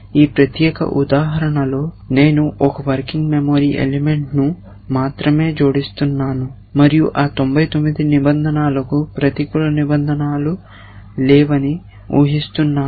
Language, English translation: Telugu, In this particular example, I am only adding 1 working memory element and assuming that those 99 rules do not have negative clauses